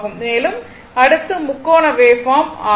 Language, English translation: Tamil, And, this one, now next one is this is triangular waveform